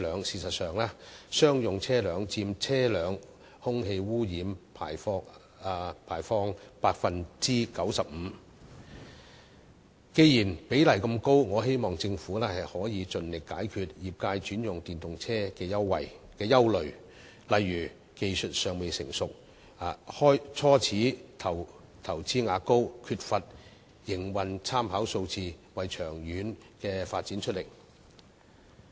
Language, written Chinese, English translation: Cantonese, 事實上，商用車輛佔車輛空氣污染排放 95%， 既然比例那麼高，我希望政府可以盡力解決業界轉用電動車的憂慮，例如技術尚未成熟、初始投資額高及缺乏營運參考數據，為長遠發展出力。, Actually commercial vehicle emissions account for 95 % of air pollution from vehicle emissions . Since the ratio is so high I hope the Government can expeditiously address the worries of the industry in switching to EVs such as immature technologies a high initial investment and lacking operational data for reference so as to work on the long - term development of EVs